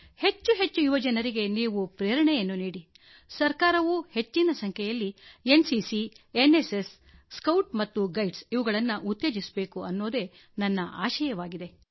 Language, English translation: Kannada, I want you to motivate the youth as much as you can, and I want the government to also promote NCC, NSS and the Bharat Scouts and Guides as much as possible